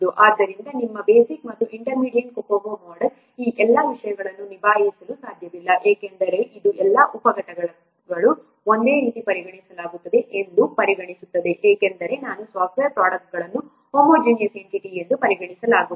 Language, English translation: Kannada, So your basic and intermediate Kokomo cannot handle all these things because it considers all the sub components are treated as similar because the what software product is considered as a single homogeneous entity